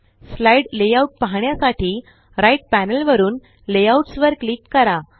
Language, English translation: Marathi, To view the slide layouts, from the right panel, click Layouts